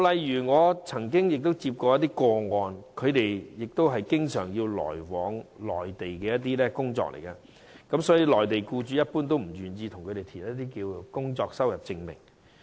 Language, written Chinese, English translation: Cantonese, 以我曾經接觸的個案為例，他們經常要來往內地工作，而內地僱主一般不願為他們填寫工作收入證明。, According to the cases I have come across some of them have to work in the Mainland frequently and Mainland employers in general are unwilling to provide income certificates for them